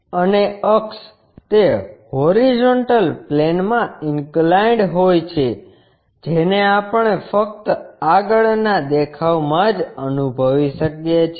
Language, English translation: Gujarati, And axis is inclined to that horizontal plane which we can sense it only in the front view